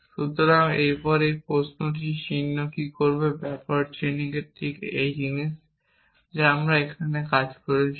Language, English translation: Bengali, So, that question mark after this what backward chaining will do is exactly the same thing that we did here earlier it would